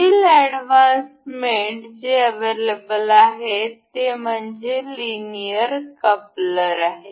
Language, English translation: Marathi, Let us just see the next advanced mate available, that is linear coupler